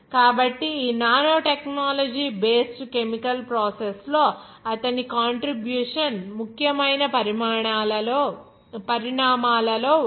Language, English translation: Telugu, So, his contribution is one of the important developments in these nanotechnology based chemical processes